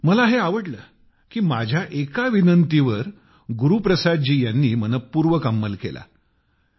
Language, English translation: Marathi, But I felt nice that Guru Prasad ji carried forward one of my requests with interest